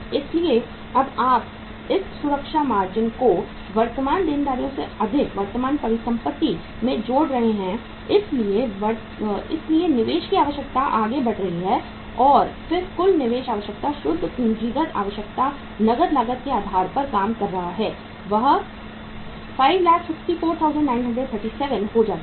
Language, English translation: Hindi, So when you are adding this safety margin also into the excess of current asset over current liabilities so investment requirement is further going up and then total investment net working capital requirement becomes on the cash cost basis 564,937